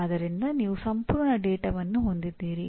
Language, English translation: Kannada, So you have complete data